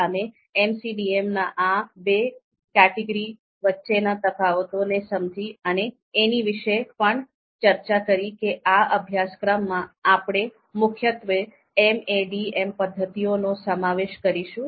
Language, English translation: Gujarati, So we understood what are the differences between these two categories of MCDM, and we also discussed that in this particular course we would be mainly covering MADM methods